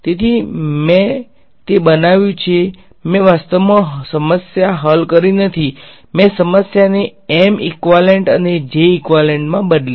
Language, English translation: Gujarati, So, I have made it I have not actually solved the problem I have just transferred the problem into M equivalent and J equivalent ok